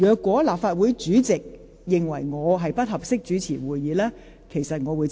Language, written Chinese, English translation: Cantonese, "如立法會主席認為我不適宜主持會議，我會接受。, If the President of the Legislative Council thinks that I am unfit for presiding over meetings I will accept his decision